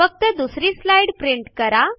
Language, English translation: Marathi, Print only the 2nd slide